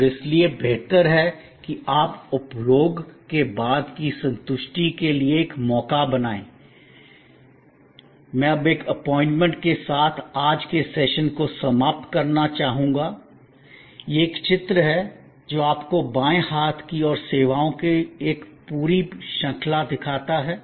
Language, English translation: Hindi, And therefore better you create a chance for post consumption satisfaction I would now like to end a today secession with an assignment, this is a diagram, which a shows to you a whole range of services on the left hand side